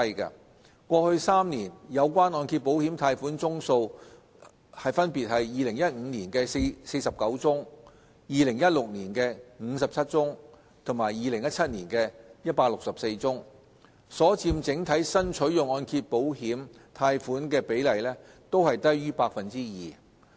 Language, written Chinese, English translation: Cantonese, 過去3年有關按揭保險貸款宗數分別為2015年的49宗 ，2016 年的57宗和2017年的164宗，所佔整體新取用按揭保險貸款的比例均低於 2%。, The corresponding numbers of loans drawn down in the past three years were 49 for 2015 57 for 2016 and 164 for 2017 respectively accounting for less than 2 % of the total number of loans drawn down